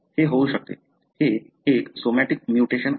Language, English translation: Marathi, It can happen; this is a somatic mutation